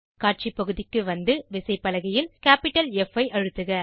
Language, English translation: Tamil, Come to the Display Area and press capital F on the keyboard